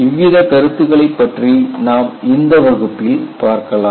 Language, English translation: Tamil, Those concepts also we look at in this class